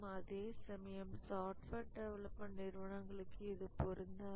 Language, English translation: Tamil, And that's not applicable to software industry